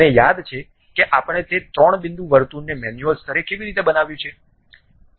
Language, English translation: Gujarati, Ah Do you remember like how we have constructed that three point circle at manual level